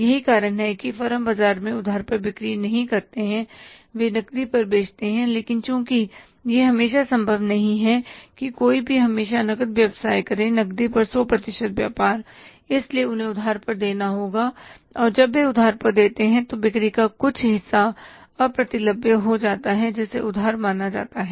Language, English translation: Hindi, They tend to sell on cash but since it is not possible to do any business always on cash, 100% business on cash, so they have to give the credit and when they give the credit part of the sales become irrecoverable which are considered as bad debts